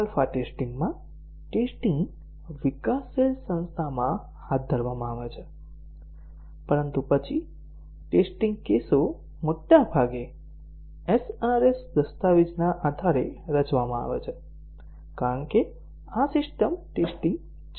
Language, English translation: Gujarati, In alpha testing, the testing is carried out within the developing organization, but then the test cases are largely designed based on the SRS document, because this is a system testing